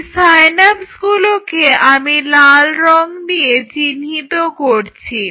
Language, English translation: Bengali, So, let us identify the synapses by say let me use red color